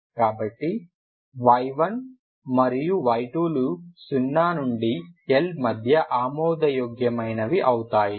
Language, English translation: Telugu, So y 1 and y 2 are valid between x between 0 to L